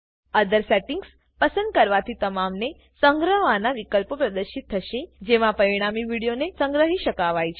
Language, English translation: Gujarati, Choosing Other settings will display all the saving options available in which the resultant video can be saved